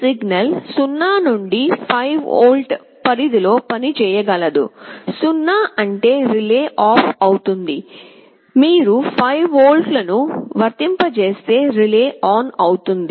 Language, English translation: Telugu, This signal can work in 0 to 5 volt range, 0 means relay will be OFF, if you apply 5 volts the relay will be on